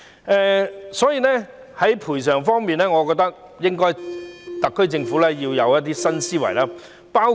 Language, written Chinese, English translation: Cantonese, 因此，在賠償方面，我覺得特區政府要有一些新思維。, Therefore I think that the SAR Government should come up with some new ideas in respect of compensation